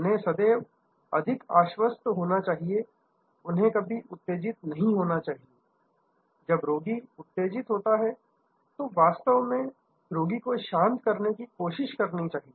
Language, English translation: Hindi, They should be very reassuring, they should never get agitated, when the patient is agitated, they should actually try to come the patient down, they should be soothing and so on